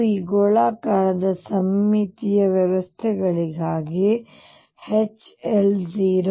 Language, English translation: Kannada, And we also seen that for this spherically symmetric systems H L is 0